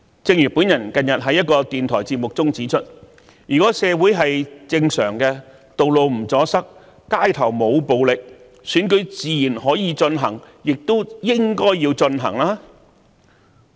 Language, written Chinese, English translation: Cantonese, 正如我近日在電台節目中指出，如社會正常運作，道路不阻塞，街頭沒有暴力事件，選舉自然可以進行，亦應該進行。, As I have pointed out in a radio programme recently if the normal operation of the community can be maintained roads are not blocked and there was no violence on the street the election can certainly be held and shall also be held